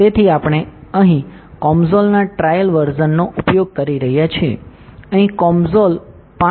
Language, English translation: Gujarati, So, we are using trial version of COMSOL, here COMSOL 5